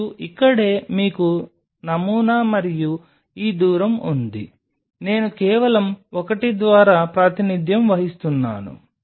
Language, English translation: Telugu, And this is where you have the sample and this distance this distance let us say I just represent by l